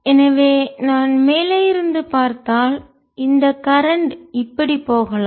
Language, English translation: Tamil, so if i look at from the top, this current may be going like this